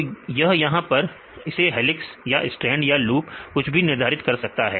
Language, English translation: Hindi, this can assign helix or this is strand or it is a loop and so on